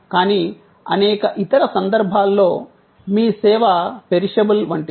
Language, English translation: Telugu, But, in many other cases, service is perishable